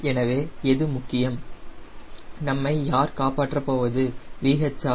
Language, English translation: Tamil, so what is important, who will save us, is v